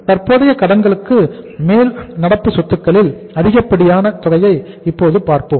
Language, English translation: Tamil, Now let us see the say excess of current assets over current liabilities